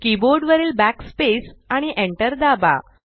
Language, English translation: Marathi, Press Backspace on your keyboard and hit the enter key